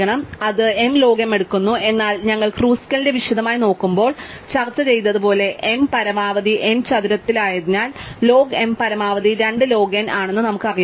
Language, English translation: Malayalam, So, that takes m log m, but as we discussed when we actually look at Kruskal in detail, since m is at most n square, we know that log m is 2 log n at most